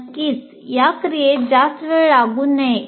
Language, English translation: Marathi, Of course, this activity should not take too long